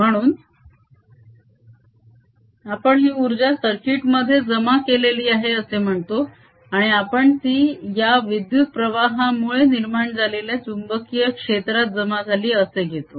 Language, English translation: Marathi, so we say this energy is stored in the circuit and we take it to be stored in the magnetic field b that is produced by this current finite